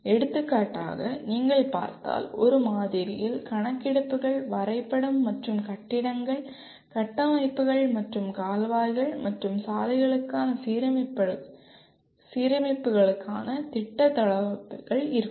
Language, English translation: Tamil, For example a sample if you look at, survey map and plan layouts for buildings, structures and alignments for canals and roads